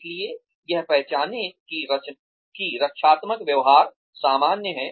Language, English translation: Hindi, So, recognize that, the defensive behavior is normal